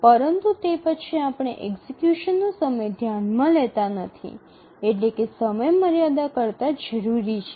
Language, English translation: Gujarati, But then we don't consider how much execution time is required over the deadline